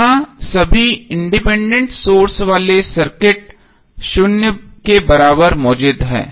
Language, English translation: Hindi, Here the circuit with all independent sources equal to zero are present